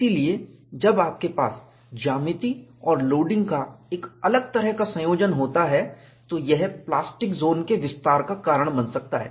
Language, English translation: Hindi, So, when you have a different combination of geometry and loading, it could lead to expansion of the plastic zone; so, the plastic zone is not confined